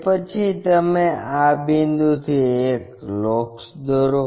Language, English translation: Gujarati, After, that draw a locus from this point